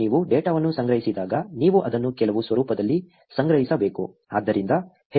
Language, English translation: Kannada, When you collect the data, you have to store it in some format, right